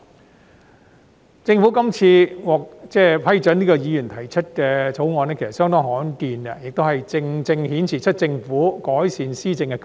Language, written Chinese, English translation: Cantonese, 其實政府這次批准議員提出議員法案是相當罕見，正正顯示出政府改善施政的決心。, As a matter of fact it is rather rare for the Government to approve the introduction of a Members Bill . This time the Governments consent precisely shows its determination to improve governance